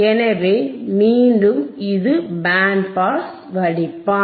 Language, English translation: Tamil, So, again this is band pass filter